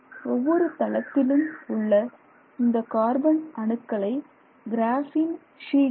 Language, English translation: Tamil, Now, each plane of carbon atoms is referred to as a graphene sheet